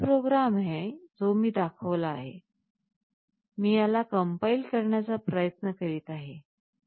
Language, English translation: Marathi, This is the same program that I have shown, this I am trying to compile